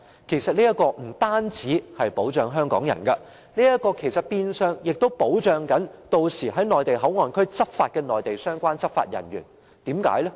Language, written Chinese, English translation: Cantonese, 其實這不但可保障香港人，亦變相保障屆時在內地口岸區的相關內地執法人員。, Not only can this protect Hongkongers . Actually it can also protect the relevant Mainland law enforcement officers who will serve in MPA